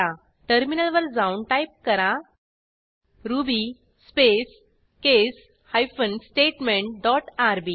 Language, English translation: Marathi, Now, save the file, switch to the terminal and type ruby space case hyphen statement dot rb